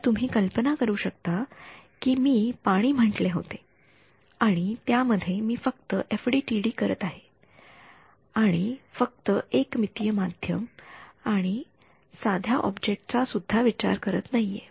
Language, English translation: Marathi, So, you can imagine like you know I have say water and I am doing FDTD within that and just 1D medium we are not even considering object right now